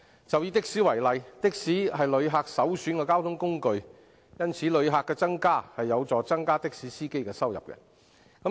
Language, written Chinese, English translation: Cantonese, 就以的士為例，它是旅客首選的交通工具，因此旅客增加便有助增加的士司機的收入。, Let me take taxi as an example . Since it is the visitors preferred means of transport increasing visitor arrivals is thus conducive to the increase of taxi drivers income